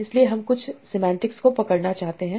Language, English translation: Hindi, So you want to capture certain semantics